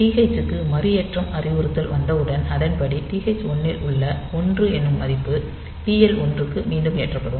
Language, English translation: Tamil, So, TH or this reload instruction will come and accordingly TH 1, 1 value will be reloaded to TL 1 value